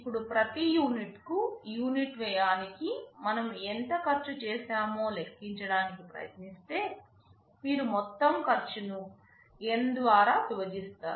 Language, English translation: Telugu, Now, if you try to calculate how much cost we have incurred for every unit, the per unit cost, you divide the total cost by N